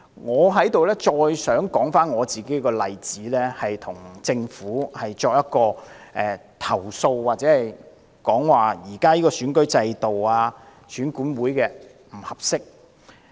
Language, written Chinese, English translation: Cantonese, 我想再次說出我的例子，要向政府投訴現時選舉制度及選管會的不足之處。, I want to recount my experience again to complain to the Government the inadequacies of the existing electoral system and EAC